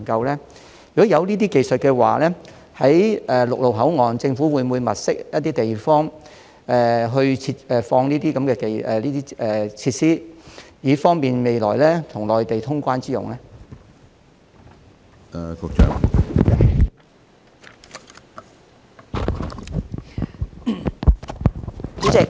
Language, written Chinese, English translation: Cantonese, 如果確有這些技術，政府會否在陸路口岸物色地方設置相關設施，以便未來與內地通關之用？, If such techniques are really available will the Government identify spaces at the land boundary control points to set up relevant facilities so as to facilitate the future movement of people between the two places?